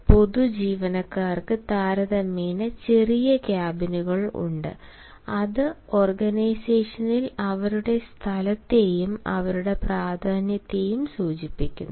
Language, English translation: Malayalam, general employees have smaller cabins and that denotes their space in the organization as well as their importance